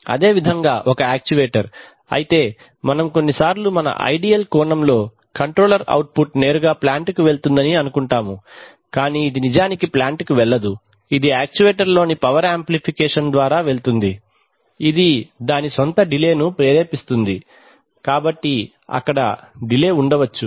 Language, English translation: Telugu, Similarly an actuator though we sometimes in our idealized view we sometimes think that the controller output directly goes to the plant, but it actually does not go to the plant, it goes through a power amplification in the actuator which induces its own delay, there could be delays in, there are always delays in the plant